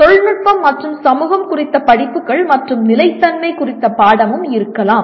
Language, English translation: Tamil, Also courses on technology and society and there can be course on sustainability